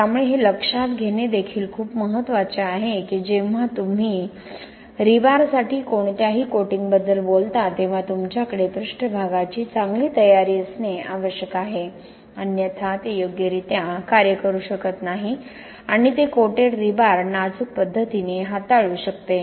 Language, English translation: Marathi, So this is also very important to notice that whenever you talk about any coating for the rebar you are supposed to have good surface preparation otherwise it may not work properly and handle that coated rebar in a delicate manner